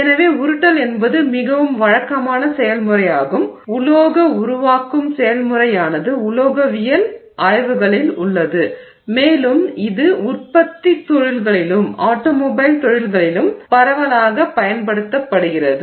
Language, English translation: Tamil, So, rolling is actually a very, you know, conventional process, metal forming process that exists in the metallurgical you know studies and it also is used extensively in manufacturing industries in automobile industries